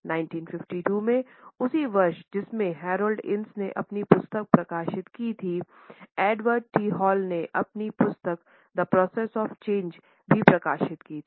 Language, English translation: Hindi, In 1952 only, the same year in which Harold Innis has published his book, Edward T Hall also published his book The Process of Change